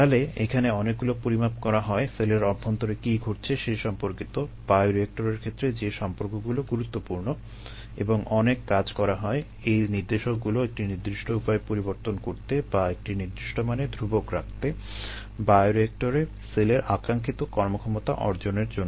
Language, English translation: Bengali, so lot of measurements are made on these, correlated to the happenings inside the cells, correlations with respect to what is important from a bioreactor context, and efforts are made so that, uh, these ah indicators are ah, varied in a particular fashion or kept constant at a particular known value to achieve a desired performances by the cells in the bioreactor